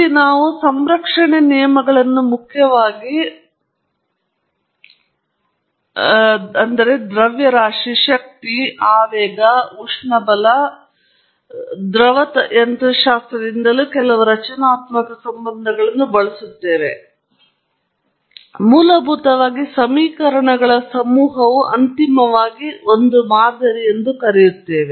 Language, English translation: Kannada, And here, we invoke the laws of conservation primarily mass, energy, momentum, and use a few constitutive relationships may be from thermodynamics and fluid mechanics and so on; and finally come up with the model; the set of equations essentially